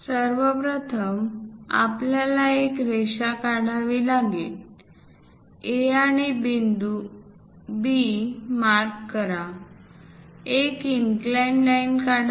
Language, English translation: Marathi, First of all, we have to draw a line, mark A and B points, draw an inclined line